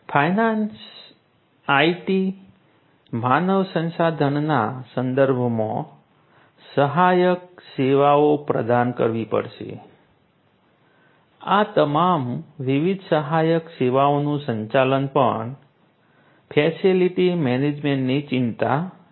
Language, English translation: Gujarati, of finance, IT, human resources, management of all of these different support services is also of concern of facility management